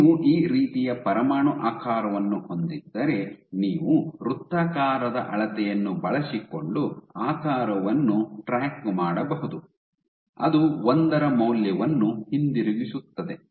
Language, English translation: Kannada, So, if you have a nuclear shape like this you can track the shape by using a measure of circularity, which returns the value of 1